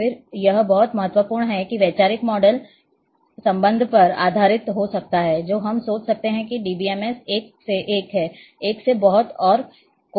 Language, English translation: Hindi, Then this is very important that there might be a based on relationship the conceptual models which we can think, of about DBMS is one to one, one too many and many to many